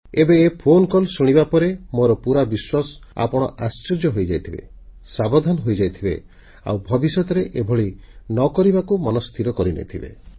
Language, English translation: Odia, Now after listening to this phone call, I am certain that you would have been shocked and awakened and would probably have resolved not to repeat such a mistake